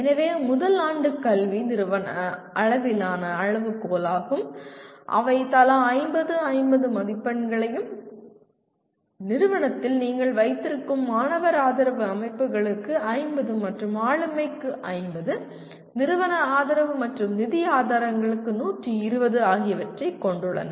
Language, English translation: Tamil, So first year academics is the institution level criterion and they carry 50, 50 marks each and student support systems that you have in the institution carry 50, 50 and governance, institutional support and financial resources they are given 120, 120